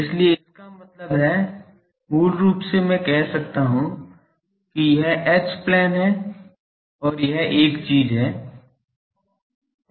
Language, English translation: Hindi, So; that means, basically I can say that, this is the H plane and this is the a thing